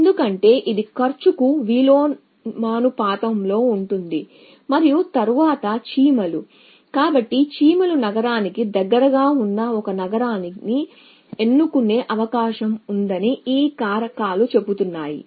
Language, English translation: Telugu, Because this is inversely proportion to cost and then the ants so this factors says that the ant is likely to choose a city which is close to the city i at which it is